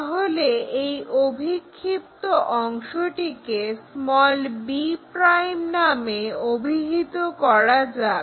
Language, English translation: Bengali, So, let us call this projected 1 b '